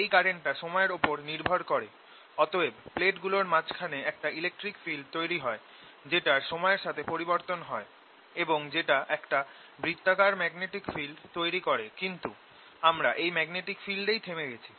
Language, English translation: Bengali, this current is time dependent and therefore electric field in between, electric field in between e changes the time which gives rise to a magnetic field, circular magnetic field which is coming up